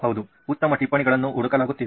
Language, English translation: Kannada, Yeah, seeking for better notes